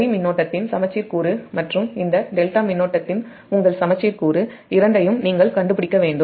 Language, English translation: Tamil, both you have to find out symmetrical component of line current and as well as your symmetrical component of this delta current